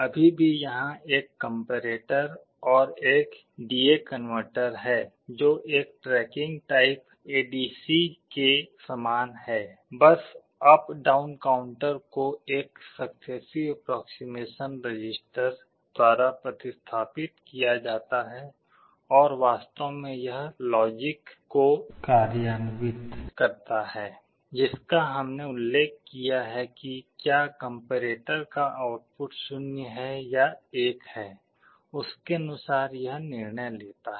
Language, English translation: Hindi, There is still a comparator and a D/A converter, very similar to a tracking type ADC; just the up down counter is replaced by a successive approximation register and this implements actually the logic, which we mentioned depending on whether the output of the comparator is 0 or 1 it takes a decision